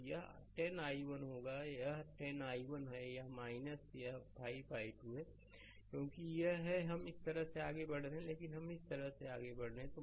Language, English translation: Hindi, So, it will be 10 i 1 it is 10 i 1 minus this 5 i 2, because it is it is we are moving this way we are moving this way, but it is going this way